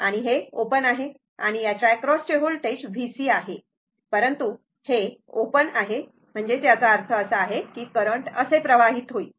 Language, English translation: Marathi, And this is open and voltage across this is V C say plus minus, but this is open; that means, current will flow through like this